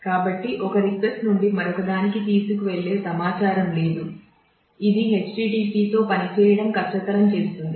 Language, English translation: Telugu, So, there is no information that is carried from one request to the other which makes http difficult to work with